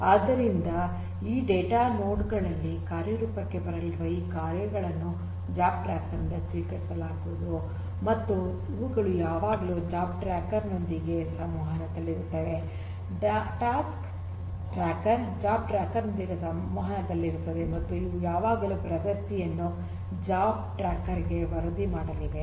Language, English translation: Kannada, So, the tasks this tasks that are going to be executed over here in this data nodes are going to be retrieved are going to be received from the job tracker and these are going to always be in communication with the job tracker, the task tracker is going to be in communication with the job tracker and these are always going to also report the progress to the job tracker